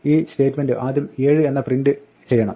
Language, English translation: Malayalam, This statement should first print 7